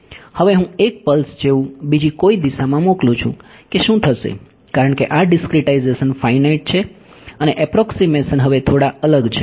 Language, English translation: Gujarati, Now, I send a pulse like this some other direction what will happen, because this discretization is finite the approximations are now slightly different right